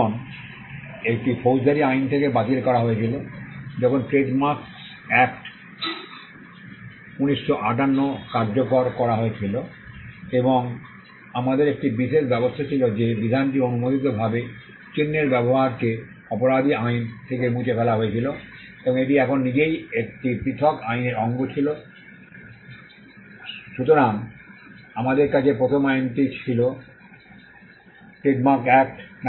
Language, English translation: Bengali, Now, this was repealed from the criminal laws; when the Trademarks Act, 1958 was enacted and we had a special regime the provision which criminalized unauthorized use of marks was removed from the criminal statutes and it was now a part of a separate act in itself